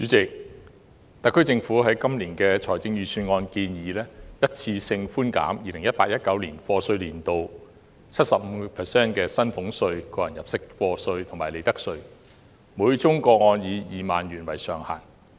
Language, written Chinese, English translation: Cantonese, 主席，特區政府在今年的財政預算案建議一次性寬減 2018-2019 課稅年度 75% 的薪俸稅、個人入息課稅及利得稅，每宗個案以2萬元為上限。, President the SAR Government proposed in the Budget this year one - off reductions of salaries tax tax under personal assessment and profits tax for year of assessment 2018 - 2019 by 75 % subject to a ceiling of 20,000 per case